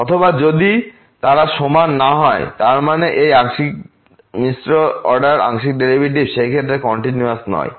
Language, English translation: Bengali, Or if they are not equal that means these partial mixed partial order derivatives are not continuous in that case